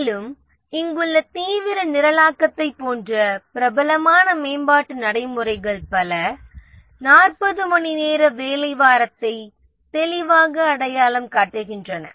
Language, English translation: Tamil, And many of the popular development practices like the extreme programming here it clearly identifies 40 hour working week